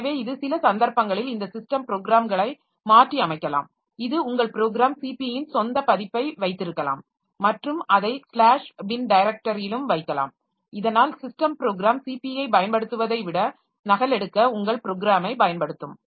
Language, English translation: Tamil, So, this for in some cases, this system programs can be modified modified like you can have your own version of the program CP and put it into the slash bin directory so that it will be using your program for copying rather than using the system program CP